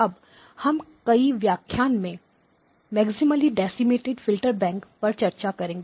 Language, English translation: Hindi, We are going to spend several lectures on the topic of Maximally Decimated Filter banks